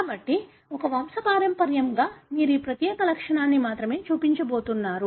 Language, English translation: Telugu, So in a, in a given pedigree you are going to only show that particular trait